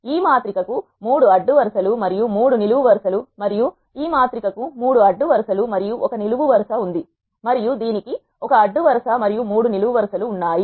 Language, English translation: Telugu, This matrix has 3 rows and 3 columns, and this matrix has 3 rows and 1 column, and this has 1 row and 3 columns